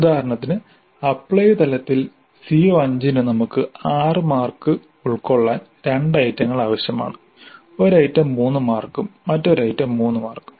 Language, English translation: Malayalam, For example for CO5 at apply level we need to have 6 marks that is made up of 2 items, 1 item of 3 marks and another item of three marks